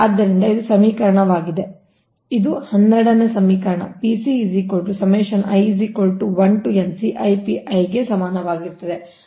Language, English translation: Kannada, so this is equation, this is equation twelve